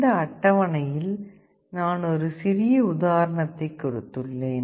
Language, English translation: Tamil, In this table I have given a very small example